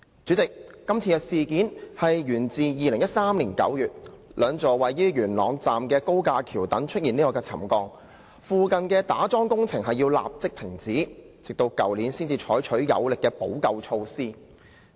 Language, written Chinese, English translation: Cantonese, 主席，今次的事件源自2013年9月，兩座位於元朗站的高架橋躉出現沉降，附近的打樁工程須立即停止，直到去年才採取有力的補救措施。, President the incident was discovered in September 2013 . Two viaduct piers of the Yuen Long Station showed subsidence . The piling works nearby were immediately stopped but strong remedial measures were not taken until last years